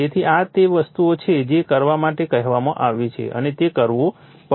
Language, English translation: Gujarati, So, these are the thing have been asked to and you have to do it